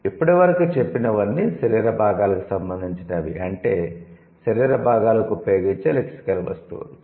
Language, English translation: Telugu, These are all related to the body part, the lexical items used for the body part